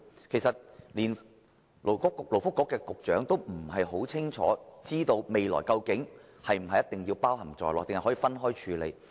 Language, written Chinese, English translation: Cantonese, 事實上，連勞工及福利局局長也不大清楚將來是否一定要包含在內，抑或可以分開處理。, The truth is even the Secretary for Labour and Welfare is not sure if the future recurrent funding has been included or if it can be dealt with separately